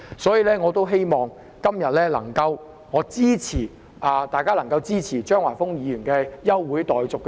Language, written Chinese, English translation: Cantonese, 所以，我希望今天大家能夠支持張華峰議員的休會待續議案。, Therefore I hope Members can support the adjournment motion proposed by Mr Christopher CHEUNG today